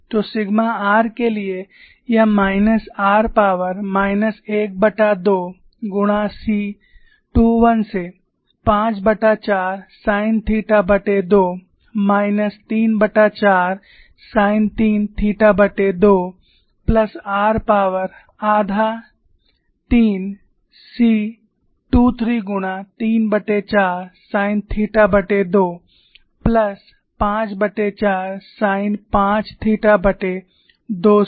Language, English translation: Hindi, So, for sigma r it is minus r power minus 1 by 2 multiplied by C 215 by 4 sin theta by 2 minus 3 by 4 sin 3 theta by 2 plus r power half 3 C 23 multiplied by 3 by 4 sin theta by 2 plus 5 by 4 sin 5 theta by 2